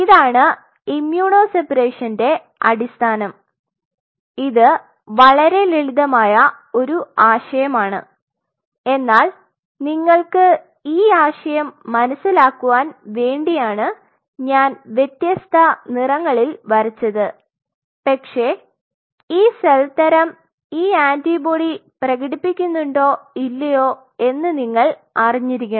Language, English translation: Malayalam, Now, this is what forms the basis of immuno separation it is a very simple concept, but you just have to get this idea and that is why I am kind of drawing in different colors, but catch you really have to know your cell type or your concern cell type does it express that antibody or not